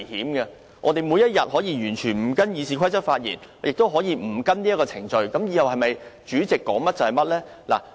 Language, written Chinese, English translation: Cantonese, 本會是否每天都可以完全不依照《議事規則》發言，也不須遵守程序，以後由主席當一言堂呢？, Does it mean that Members of this Council may opt not to speak in accordance with RoP every day and follow the procedure whereas the Chairman has all the say from now on?